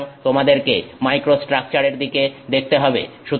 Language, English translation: Bengali, So, you have to look at microstructure